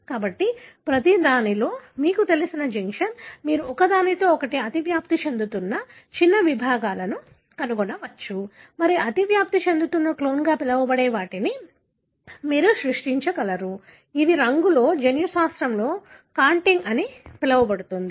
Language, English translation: Telugu, So in each, you know, junction, you can find there are small segments that overlap with each other and you are able to create what is called as overlapping clones, which in colour in a, in a term in genomics called as contig